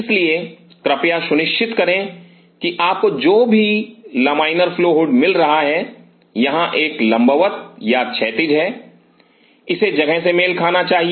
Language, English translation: Hindi, So, please ensure whatever size of a laminar flow hood you are getting, where this a vertical or horizontal it should match into the space